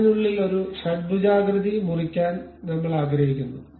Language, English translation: Malayalam, So, now we would like to have a hexagonal cut inside of that